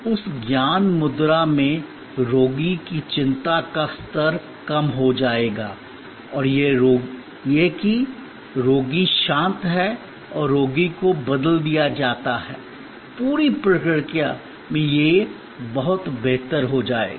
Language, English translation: Hindi, In that knowledge exchange, the anxiety level of the patient will come down and that the patient is calm and the patient is switched, on the whole the procedure will go much better